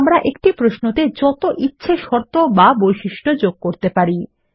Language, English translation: Bengali, And so we can have any number of conditions or criteria in a query